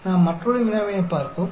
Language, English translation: Tamil, Let us look at another problem